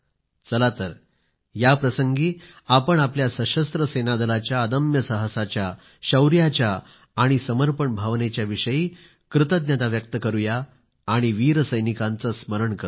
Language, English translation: Marathi, On this occasion, let us express our gratitude for the indomitable courage, valour and spirit of dedication of our Armed Forces and remember the brave soldiers